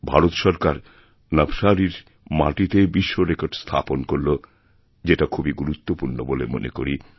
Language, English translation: Bengali, Government of India created a world record in Navsari which I believe to be very important